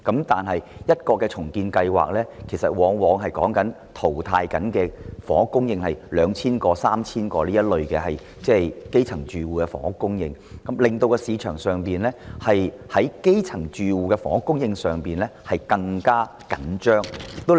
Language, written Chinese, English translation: Cantonese, 但每項重建計劃所淘汰的房屋供應量往往是高達兩三千個可供基層住戶入住的單位，令市場上基層住戶的房屋供應更加緊張。, But the housing supply eliminated by each redevelopment project often amounts to 2 000 to 3 000 flats available for grass - roots households rendering the housing supply for grass - roots households in the market even tighter